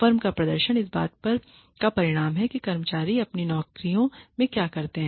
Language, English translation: Hindi, s performance is a result of what employees do at their jobs